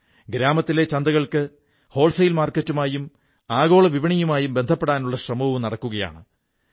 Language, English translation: Malayalam, Efforts are on to connect local village mandis to wholesale market and then on with the global market